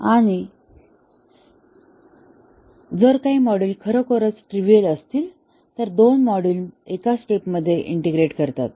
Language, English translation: Marathi, And if some of the modules are really trivial then we might even integrate two modules in one step